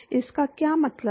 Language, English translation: Hindi, What does it signify